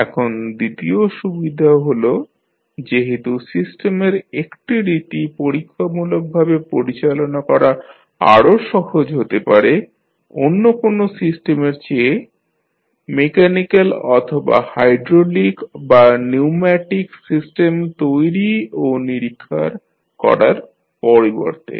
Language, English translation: Bengali, Now, second advantage is that since one type of system may be easier to handle experimentally than any other system instead of building and studying the mechanical or maybe hydraulic or pneumatic system